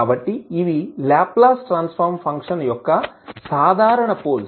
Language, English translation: Telugu, So, these are the simple poles of the Laplace Transform function